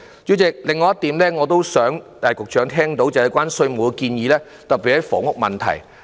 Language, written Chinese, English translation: Cantonese, 主席，我也想局長聽到另外一點建議，特別是關於房屋問題的。, Chairman I also hope that the Secretary will listen to another suggestion which concerns the housing issue in particular